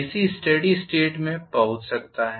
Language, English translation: Hindi, AC can reach a steady state